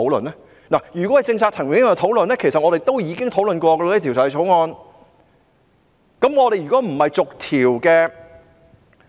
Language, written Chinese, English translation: Cantonese, 如果只是政策層面上的討論，其實我們已就《條例草案》作出這方面的討論。, If it is only a discussion on the policy perspective we have already conducted this aspect of discussion of the Bill